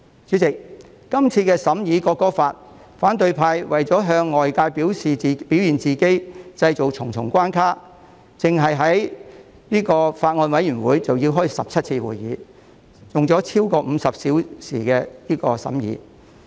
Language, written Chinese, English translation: Cantonese, 主席，今次審議《條例草案》期間，反對派為了向外界表現自己，於是製造重重關卡，單是法案委員會已召開了17次會議，用了超過50小時進行審議。, Chairman during the scrutiny of the Bill the opposition camp has created a lot of obstacles in order to manifest themselves to the outside world . The Bills Committee alone has held 17 meetings and spent more than 50 hours on scrutiny